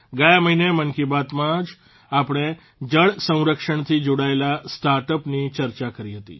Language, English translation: Gujarati, Last month in 'Mann Ki Baat', we had discussed about startups associated with water conservation